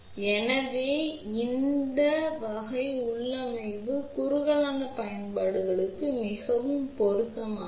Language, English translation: Tamil, So, this type of configuration is very suitable for narrowband applications